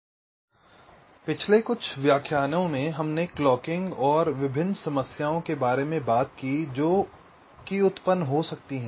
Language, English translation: Hindi, so in the last few lectures we have been talking about the clocking and the various timing issues that may arise in a design